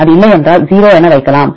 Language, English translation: Tamil, If it is not then you can put 0 otherwise